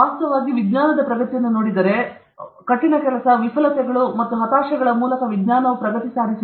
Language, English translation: Kannada, Actually, if you look at the progress of science, science has progressed through hard work, failures, and frustrations